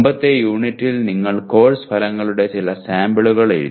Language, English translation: Malayalam, In the earlier unit you wrote some samples of course outcomes